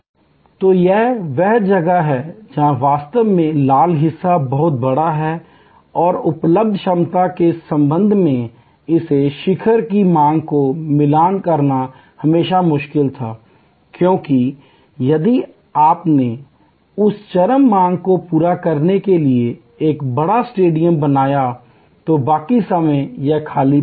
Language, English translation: Hindi, So, this is where actually the red part is much bigger and it was always difficult to match this peak demand with respect to capacity available, because if you created a huge stadium to meet that peak demand, rest of the time it will be lying vacant